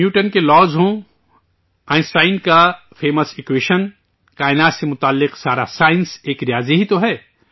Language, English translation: Urdu, Be it Newton's laws, Einstein's famous equation, all the science related to the universe is mathematics